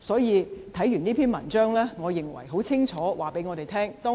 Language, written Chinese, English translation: Cantonese, 看過這篇文章，我認為文章已清楚告訴我們他的理念。, Having read this article I consider that it clearly informs us of his ideas